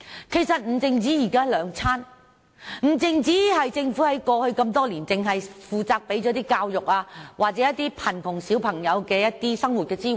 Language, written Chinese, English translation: Cantonese, 其實不止日常三餐，亦不只是政府在過去多年提供免費的教育，或向貧窮兒童提供生活支援。, In fact it entails more than three meals a day the free education provided by the Government in the past many years and the living assistance provided to poor children